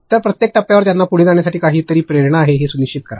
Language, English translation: Marathi, So, make sure that at each milestone they have some motivation to proceed